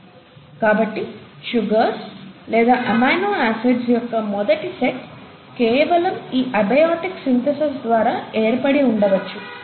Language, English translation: Telugu, So the first set of sugars or amino acids would have been formed by a mere abiotic synthesis of these molecules